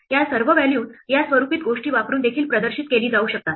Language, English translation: Marathi, All these values can be displayed also using these formatted things